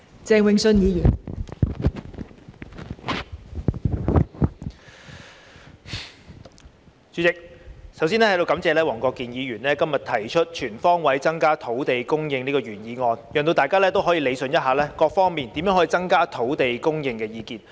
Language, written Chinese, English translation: Cantonese, 代理主席，我首先在此感謝黃國健議員今天提出"全方位增加土地供應"的原議案，讓大家可以理順各方面就如何能夠增加土地供應提出的意見。, Deputy President first I would like to thank Mr WONG Kwok - kin for proposing the original motion on Increasing land supply on all fronts today which allows Members to rationalize the views expressed by various parties on how to increase land supply